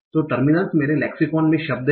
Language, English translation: Hindi, So, terminals are the words in my lexicon